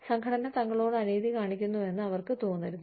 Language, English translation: Malayalam, They will see, they should not feel, that the organization is being unfair to them